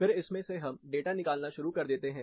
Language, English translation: Hindi, Then we start deriving data out of this